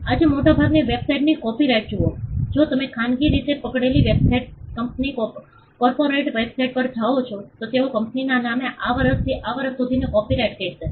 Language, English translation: Gujarati, See copyright all most websites today have, at if you go to the bottom privately held websites company corporate websites, they will say copyright from this year to this year in the name of the company